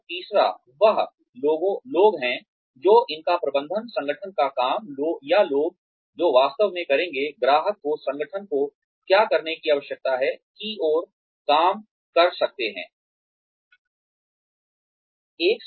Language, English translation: Hindi, And, the third is the people, who can work towards, managing these, the work of the organization, or the people, who will actually do, what the customer needs the organization to do